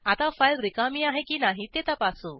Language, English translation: Marathi, Now we will check whether the file is empty or not